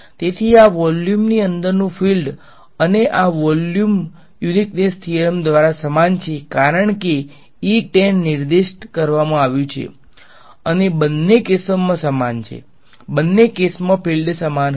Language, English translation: Gujarati, So, the fields inside this volume and this volume are the same by uniqueness theorem because e tan has been specified and is the same in both cases field will be same in both cases